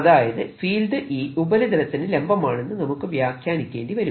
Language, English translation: Malayalam, so finally, you interpreting e becoming perpendicular to the surface